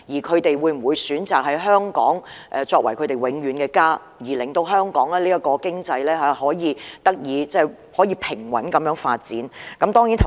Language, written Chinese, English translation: Cantonese, 他們會否選擇香港作為他們永遠的家，令香港的經濟得以平穩地發展？, Will they choose Hong Kong as their permanent home so that Hong Kongs economy can develop steadily?